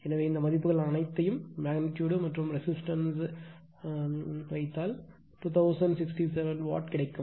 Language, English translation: Tamil, So, if you just put all these values from the magnitude of this current and the resistive value you will get 2067 Watt here also 2067 watt